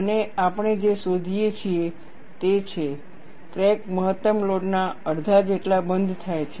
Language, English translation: Gujarati, And what we find is, the crack closes about half the maximum load